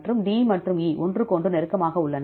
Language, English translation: Tamil, So, D and E are close to each other